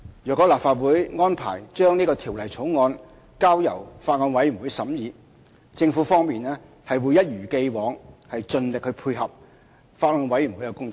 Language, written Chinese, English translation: Cantonese, 若立法會安排將這《條例草案》交由法案委員會審議，政府會一如既往盡力配合法案委員會的工作。, If the Council arranges for the Bill to be scrutinized by the Bills Committee the Government will as always make every effort to facilitate the work of the Bills Committee